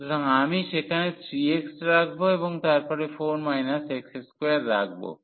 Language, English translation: Bengali, So, I will put 3 x there and then 4 minus x square